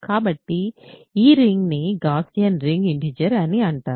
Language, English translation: Telugu, So, this ring is called ring of Gaussian integers